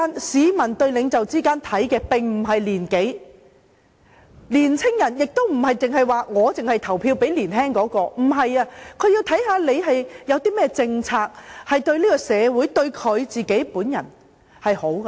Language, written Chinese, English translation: Cantonese, 市民對領袖的看法並不在於其年紀，年輕人亦不會只投票給年輕的參選人，他們會看參選人有何政綱，對社會和選民會否帶來好處。, People do not judge a leader by his age . Young people may not necessarily vote for young candidates; they will consider the candidates election platforms and whether they will bring benefits to society and the electors